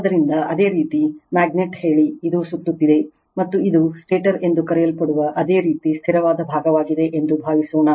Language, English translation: Kannada, So, you have a magnet say, suppose it is revolving right and it is surrounded by your static part called stator